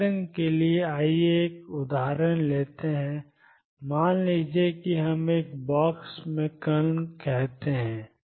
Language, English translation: Hindi, For example so, let us take an example would be let us say particle in a box